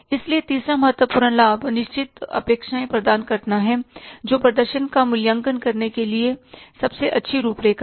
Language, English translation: Hindi, So, third important, say, advantages provides definite expectations that are best framework to evaluate the performance